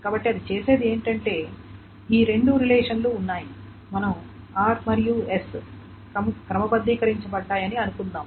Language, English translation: Telugu, So what it does is that there are these two relations, let us say are sorted and S is sorted